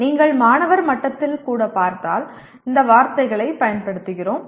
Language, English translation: Tamil, If you look at even at student’s level, we keep using these words